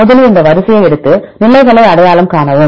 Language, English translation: Tamil, First take this sequence and identify the positions